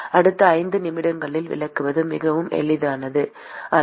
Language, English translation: Tamil, It is not very easy to explain in the next 5 minutes